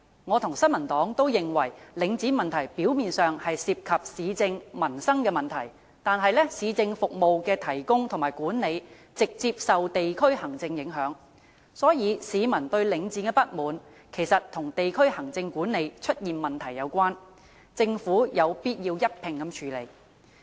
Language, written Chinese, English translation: Cantonese, 我與新民黨均認為，領展問題表面上涉及市政、民生的問題，但市政服務的提供和管理直接受地區行政影響，所以市民對領展的不滿，其實與地區行政管理出現問題有關，政府有必要一併處理。, The New Peoples Party and I consider that while the Link REIT issue ostensibly involves municipal and livelihood issues the provision and management of municipal services are under the direct impact of district administration . Hence public dissatisfaction with Link REIT is actually related to problems with district administration . The Government needs to tackle them as a whole